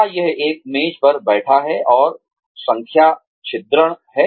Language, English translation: Hindi, Is it sitting at a desk, and punching numbers